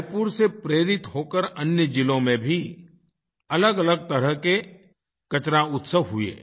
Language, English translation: Hindi, Raipur inspired various types of such garbage or trash festivals in other districts too